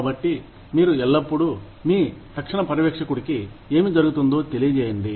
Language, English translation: Telugu, So, you should always, let your immediate supervisor know, what is going on